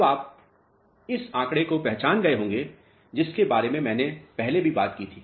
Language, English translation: Hindi, Now, you must have recognized this figure which I have talked about earlier also